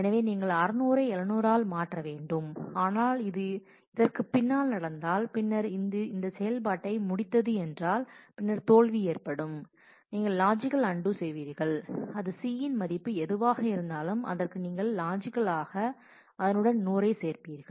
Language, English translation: Tamil, So, you will have to replace 600 by 700, but if it happens after this, then this is the case if it is completed the operation and then the failure happens, then you will do the logical undo that is whatever the value of C is you will just logically add 100 to that